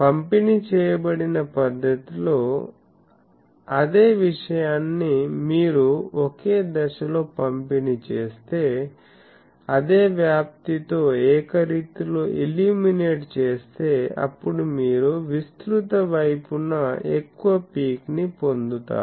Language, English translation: Telugu, The same thing in a distributed fashion that if you uniformly illuminate with same phase distribution, same amplitude then you get very peaky thing along the broad side